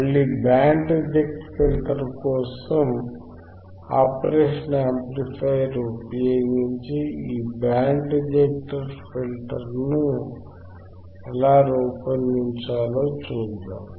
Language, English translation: Telugu, Again, for band reject filter, we will see how we can design this band reject filter using operational amplifier